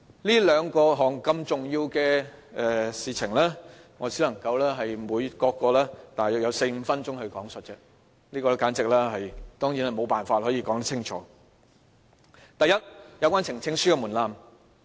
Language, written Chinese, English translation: Cantonese, 這兩項如此重要的事情，我只能各項用約4至5分鐘來論述而已，當然是無法說清楚。第一，有關呈請書的門檻。, These two issues are so important but I can only spend four to five minutes on each of them so I naturally cannot make my points clear